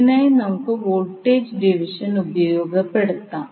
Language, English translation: Malayalam, So what we can do, we can utilize the voltage division